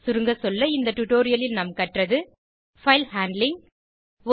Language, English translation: Tamil, In this tutorial we learnt, File handling